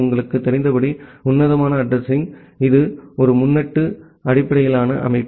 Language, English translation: Tamil, The classful addressing as you know that, it is a prefix based system